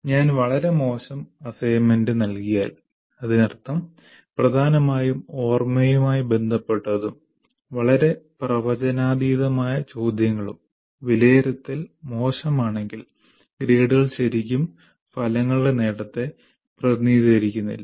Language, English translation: Malayalam, If I give a very cheap assignment, that means only everything predominantly related to remember and also very predictable questions that I give, then if assessment is poor, then grades really do not represent